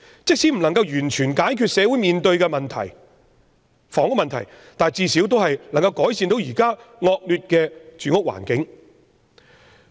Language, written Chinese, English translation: Cantonese, 即使無法完全解決社會面對的房屋問題，但最少能改善現時惡劣的住屋環境。, Even if it is not a total solution to the housing problems plaguing the community it can at least improve the existing atrocious living conditions